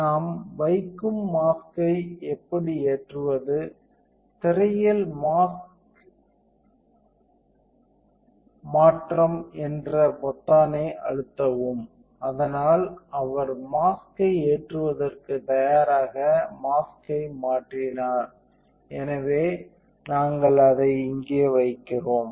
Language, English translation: Tamil, So, how do we load the mask we put up we press the button called change mask on the screen, so he changed mask you ready to load the mask, so we put it in here